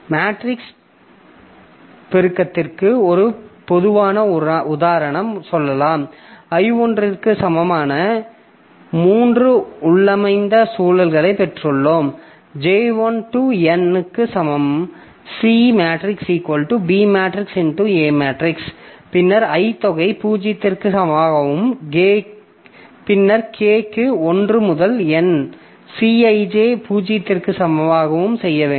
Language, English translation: Tamil, A typical example can be like, say, for matrix multiplication, you know that we have got three nested loops like for i equal to 1 to n for j equal to 1 to n we have got a c i j if i am doing like the c matrix is equal to a matrix into b matrix then i have to do like c i equal to some 0 and then for k equal to 1 to n C i